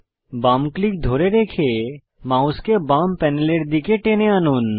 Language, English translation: Bengali, Hold left click and drag your mouse towards the left panel